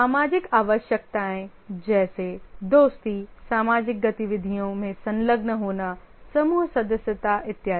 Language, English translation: Hindi, The social needs are friendship, engaging in social activities, group membership and so on